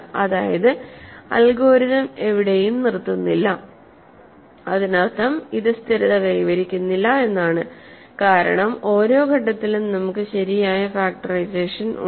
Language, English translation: Malayalam, That is the meaning of our algorithm does not stopping anywhere that means this does not stabilize, because at each stage we have a proper factorization